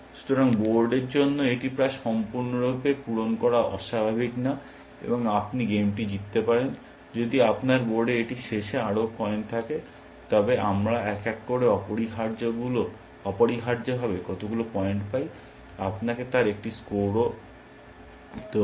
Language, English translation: Bengali, So, it is not uncommon for the board to be almost completely fill them, and you win the game, if you have more coins in the board at the end of it, but we have will be also give you a score has to how many points we have, one by essentially